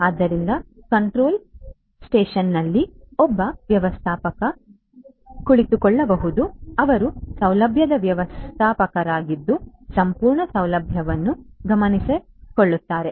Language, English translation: Kannada, So, there could be a manager sitting in the control station, who is the facility manager taking keeping an eye on the entire facility